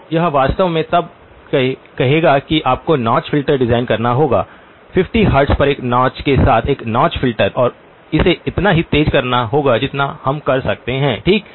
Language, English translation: Hindi, So this would actually then say that you have to design a notch filter, notch filter act with a notch at 50 hertz and make it as sharp as we can okay